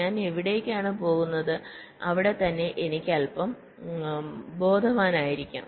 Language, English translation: Malayalam, there itself i can be a little bit aware of where i am heading to